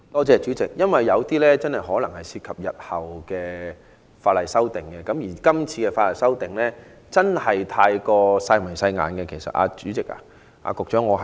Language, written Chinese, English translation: Cantonese, 主席，有些事項可能涉及日後法例修訂，而這次修訂過於"細眉細眼"，局長，其實我有點失望。, President some matters may be related to the future legislative amendments and the present amendments are too trivial . Secretary in fact I am a little disappointed